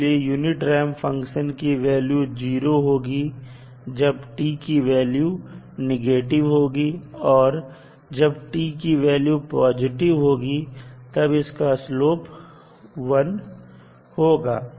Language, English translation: Hindi, So, unit ramp function is 0 for negative values of t and has a unit slope for positive value of t